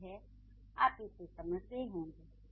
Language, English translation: Hindi, I hope I made it clear